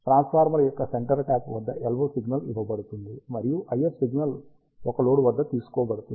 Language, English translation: Telugu, LO signal is given at the centre type of the transformer, and the IF signal is taken across a load